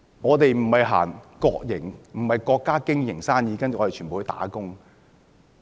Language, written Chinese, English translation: Cantonese, 我們不是由國家經營生意，然後全部人都"打工"。, Our businesses are not run by the State with everyone as the employees